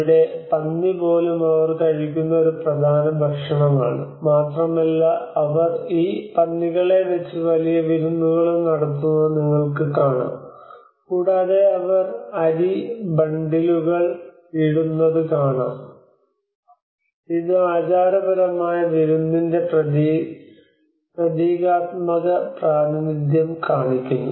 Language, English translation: Malayalam, And here even the pig is also one of the important food which they consume, and you can see that they also conduct lot of feast of with these pigs and also big jaws and you know they put the rice bundles and which are actually a symbolic representation of the ritual feasting